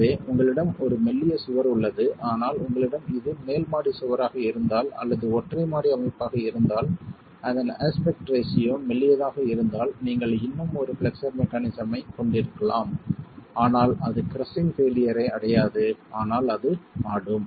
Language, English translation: Tamil, So, you have a slender wall but if you have this is a top story wall or if it is a single story structure and the wall aspect ratio is such that it is slender, you can still have a flexual mechanism but it will not fail in crushing but it will rock